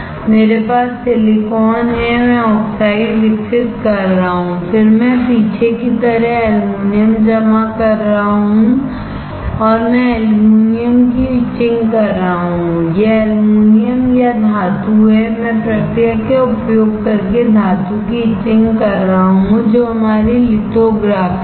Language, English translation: Hindi, I have silicon, I am growing oxide, then I am depositing aluminum on the back, and I am etching the aluminum this is aluminum or metal and I am etching the metal using process which is our lithography